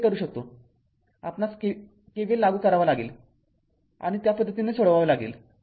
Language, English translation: Marathi, So, you can make it ah that k we have to apply KVL and accordingly we have to solve it